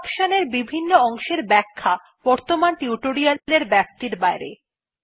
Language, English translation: Bengali, Explanation of the fields of this option is beyond the scope of the present tutorial